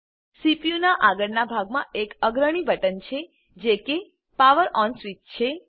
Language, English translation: Gujarati, There is a prominent button on the front of the CPU which is the POWER ON switch